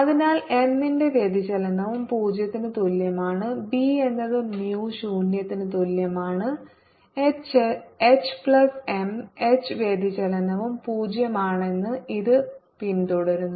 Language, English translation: Malayalam, now we have seen that divergence of b equal to zero, divergence of m is also zero and divergence of h is zero